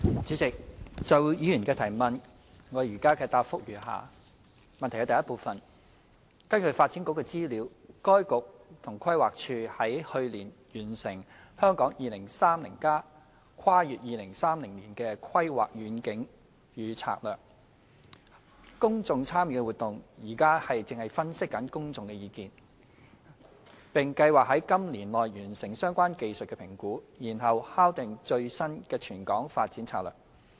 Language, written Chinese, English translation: Cantonese, 主席，就議員的質詢，我現答覆如下：一根據發展局的資料，該局和規劃署於去年完成《香港 2030+： 跨越2030年的規劃遠景與策略》公眾參與活動，現正分析公眾意見，並計劃今年內完成相關技術評估，然後敲定最新的全港發展策略。, President my reply to the Members question is as follows 1 According to information provided by the Development Bureau the Development Bureau and the Planning Department PlanD completed the public engagement exercise for the Hong Kong 2030 Towards a Planning Vision and Strategy Transcending 2030 last year . They are now analysing the views received from the public and planning to complete the relevant technical assessments within this year before finalizing the latest territorial development strategy